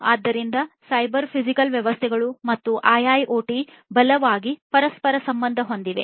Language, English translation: Kannada, So, cyber physical systems and IIoT are strongly interlinked